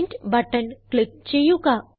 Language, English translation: Malayalam, And click on the Print button